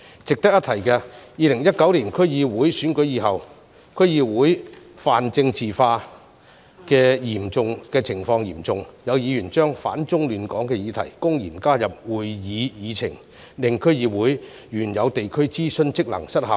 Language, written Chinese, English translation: Cantonese, 值得一提的是 ，2019 年區議會選舉以後，區議會泛政治化的情況嚴重，有議員把"反中亂港"的議題公然加入會議議程，令區議會原有地區諮詢職能失效。, It is worth noting that after the 2019 District Council DC Election the situation of DCs making everything political is serious . Some members have blatantly included agendas items that oppose the Central Authorities and cause disturbance to the law and order of Hong Kong causing DCs to lose their original function of conducting district consultation